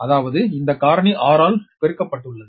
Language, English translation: Tamil, that means this factor had been multiplied with the r right